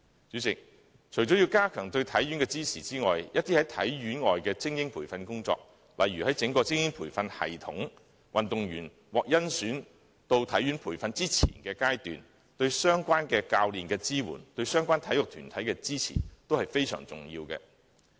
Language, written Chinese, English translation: Cantonese, 主席，除了要加強對體院的支持外，一些體院以外的精英培訓工作，例如在整個精英培訓系統下，於運動員獲甄選接受體院培訓前的階段，對相關教練的支援及對相關體育團體的支持，均非常重要。, Besides enhancing support for HKSI President it is equally important to give support to elite training outside HKSI such as assistance for relevant coaches and support for relevant sports bodies before athletes are selected for receiving training by HKSI under the elite training system